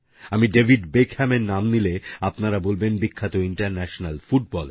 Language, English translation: Bengali, If I now take the name of David Beckham, you will think whether I'm referring to the legendary International Footballer